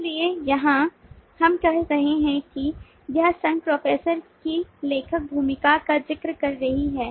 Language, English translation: Hindi, so here we are saying this association is referring to the author role of the professor